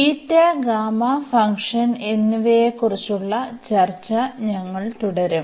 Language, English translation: Malayalam, We will continue the discussion on Beta and Gamma Function